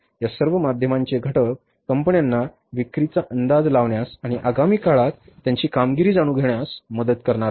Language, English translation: Marathi, All these misfactors are going to help the companies to forecast the sales and to know about their performance in the period to come